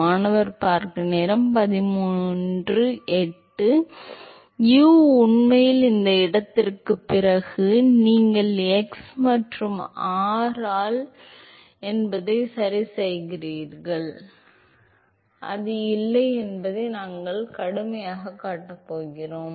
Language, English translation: Tamil, u is, well actually at after this location you correct in observing that u is not x and r we are going to show that rigorously that it is not